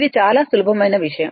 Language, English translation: Telugu, This is very simple thing